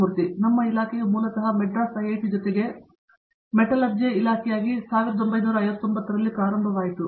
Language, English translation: Kannada, Our department originally started in 59, along with the IIT, Madras as the Department of Metallurgy